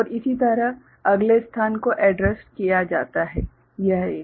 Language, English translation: Hindi, And similarly the next location is addressed so, this one